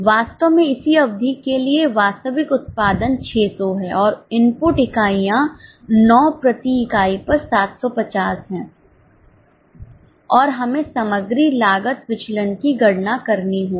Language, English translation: Hindi, In reality for the same period the actual output units are 600 and the input units are 750 at 9 per unit and we have to compute material cost variances